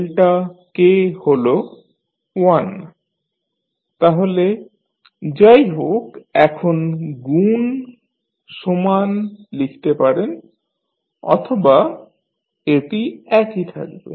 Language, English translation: Bengali, Delta k is 1 so anyway that is you can write multiply equal to 1 or it will remain same